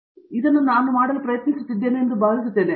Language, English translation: Kannada, So, here I think we are trying to do this